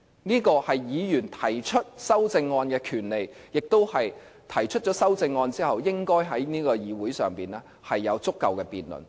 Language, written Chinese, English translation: Cantonese, 這個是議員提出修正案的權利，亦是提出修正案後，應該在議會上有足夠的辯論。, Members should have the right to propose amendments and the amendments as proposed should be adequately debated in the Council as well